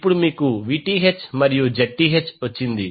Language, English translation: Telugu, Now, you got Vth and Zth